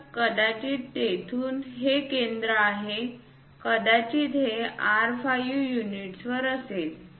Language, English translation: Marathi, So, perhaps this is the center from there it might be at R5 units